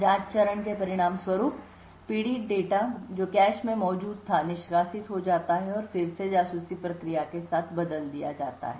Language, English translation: Hindi, As a result of the probe phase victim data which was present in the cache gets evicted out and replaced again with the spy process